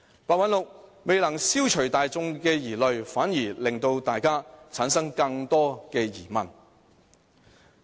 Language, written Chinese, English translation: Cantonese, 白韞六未能消除大眾疑慮，反而令大家產生更多疑問。, PEHs failure to dispel public queries has thus created further questions among the people